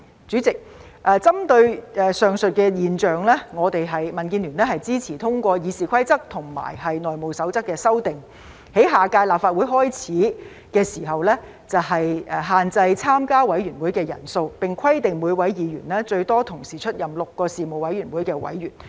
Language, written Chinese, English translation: Cantonese, 主席，針對上述現象，民主建港協進聯盟支持通過《議事規則》及《內務守則》的修訂，在下屆立法會開始時限制參加委員會的人數，並規定每位議員最多同時出任6個事務委員會委員。, President in view of the aforesaid phenomena the Democratic Alliance for the Betterment and Progress of Hong Kong DAB supports the passage of the amendments to RoP and HR to limit the membership size of committees starting from the beginning of the next term of the Legislative Council and require that each Member can serve on a maximum of six Panels at the same time